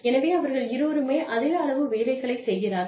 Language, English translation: Tamil, So, they are putting in the same amount of the work